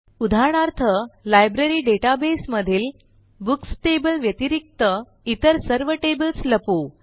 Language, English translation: Marathi, As an example, let us hide all tables except the Books table in the Library database